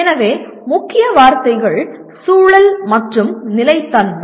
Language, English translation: Tamil, So the keywords are environment and sustainability